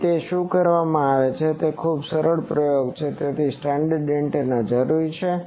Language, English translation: Gujarati, So, what is done it is a very simple experiment so standard antenna is required